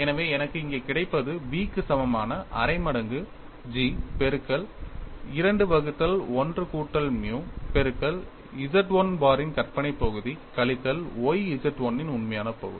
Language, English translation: Tamil, So, I have v equal to 1 by 2 G of 2 by 1 plus nu multiplied by imaginary part of Z 1 bar minus y real part of Z 1